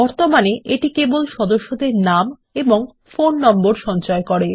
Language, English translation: Bengali, It currently stores their names and phone numbers only